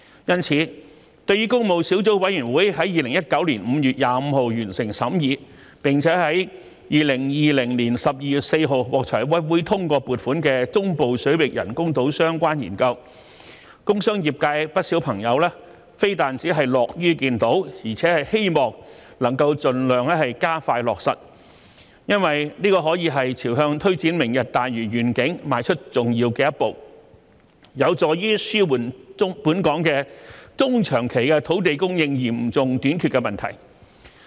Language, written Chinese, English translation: Cantonese, 因此，對於工務小組委員會在2019年5月25日完成審議，並且在2020年12月4日獲財委會通過撥款的"中部水域人工島相關研究"，工商專業界不少朋友非但樂於見到，而且希望能夠盡量加快落實，因為這可說是朝向推展"明日大嶼願景"邁出重要的一步，有助紓緩本港中、長期土地供應嚴重短缺的問題。, For this reason many members of the industrial commercial and professional sectors are glad to see the completion of the scrutiny of the studies related to the artificial islands in the Central Waters by the Public Works Subcommittee on 25 May 2019 and the funding approval by the Finance Committee on 4 December 2020 and also hope that the implementation can be expedited as far as possible . The reason is that this is basically a very important step towards the implementation of the Lantau Tomorrow Vision and helps to alleviate the severe shortage of land supply in Hong Kong in the medium and long term